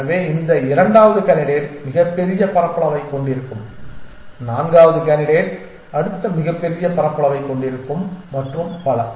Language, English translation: Tamil, So, this second candidate will have the largest area the fourth candidate will have the next largest area and so on and so forth